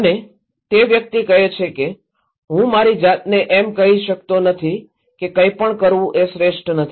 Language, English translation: Gujarati, And the person is saying that I cannot say myself that doing nothing is not the best is not the best solution